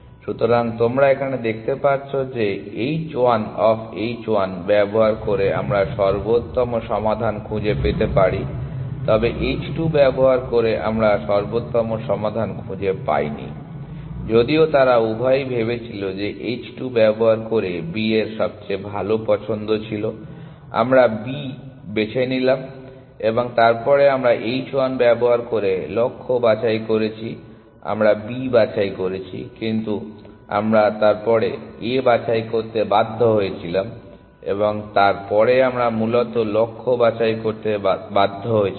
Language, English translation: Bengali, So, you can see that using h 1 of h 1 we could find the optimal solution using h 2 we could not find the optimal solution, even though both of them thought that B was the better choice using h 2 we picked B and then we picked the goal using h 1 we picked B, but then we were forced to pick A and then we were forced to pick the goal essentially